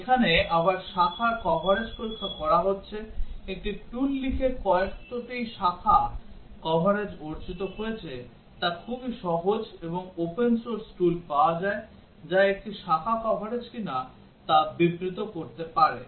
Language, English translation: Bengali, Here again checking branch coverage, how much branch coverage achieved writing a tool is very simple, and open source tools are available, which can report what is a branch coverage that is achieved